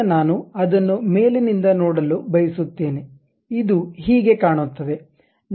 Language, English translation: Kannada, Now, I would like to see it from top, this is the way it really looks like